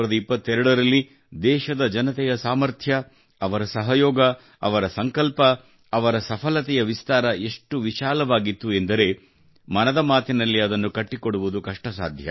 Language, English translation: Kannada, In 2022, the strength of the people of the country, their cooperation, their resolve, their expansion of success was of such magnitude that it would be difficult to include all of those in 'Mann Ki Baat'